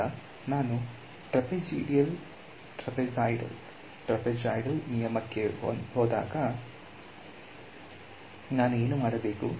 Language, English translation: Kannada, So now, when I go to trapezoidal rule what am I going to do